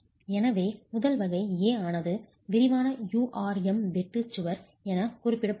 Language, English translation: Tamil, So, the first type, type A is referred to as a detailed URM shear wall